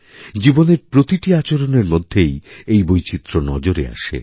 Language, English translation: Bengali, We observe diversity in every walk of life